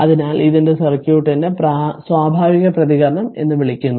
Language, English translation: Malayalam, So, this is called the natural response right of the circuit